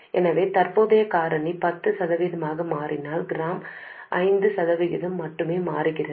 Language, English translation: Tamil, So if current factor changes by 10 percent, GM changes only by 5 percent